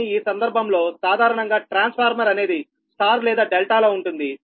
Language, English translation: Telugu, but in this case generally, generally transformer, you have star or delta, right